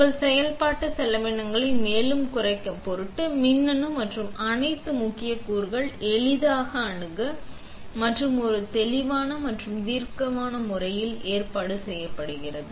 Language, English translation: Tamil, In order to further reduce your operational costs, the electronics and all important components are easily accessible as well as being arranged in a clear and logical manner